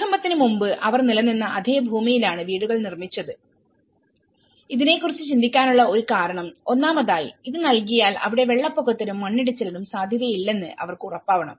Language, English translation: Malayalam, The houses were built on the same land on which they have existed before the earthquakes, one of the reason they have to think about this because first of all, they should make sure that this provided this is not at risk of flooding or landslides